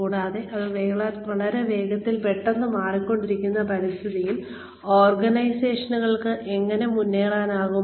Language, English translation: Malayalam, And, how can organizations keep pace with this, very fast, very quick, changing environment